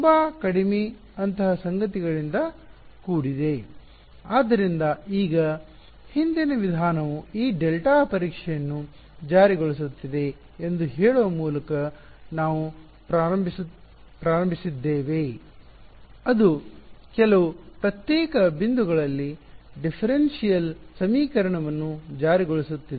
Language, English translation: Kannada, Will be composed of little little such things ok; so now, we started we by saying that the earlier method was enforcing this delta testing it was enforcing the differential equation at a few discrete points